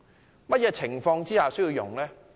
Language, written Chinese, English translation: Cantonese, 在甚麼情況下使用？, In what circumstances should it be used?